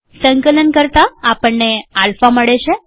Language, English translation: Gujarati, On compiling, we get alpha